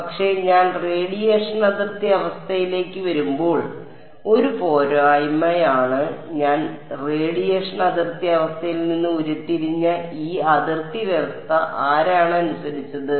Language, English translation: Malayalam, But on the disadvantage when I come to the radiation boundary condition the disadvantage is, that this boundary condition which I just derive radiation boundary condition it was obeyed by whom